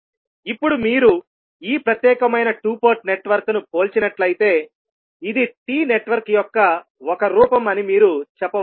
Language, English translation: Telugu, Now, if you compare this particular two port network, you can say it is a form of T network